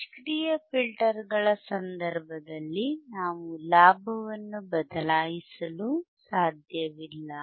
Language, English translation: Kannada, Iin case of passive filters, we cannot change the gain we cannot change the gain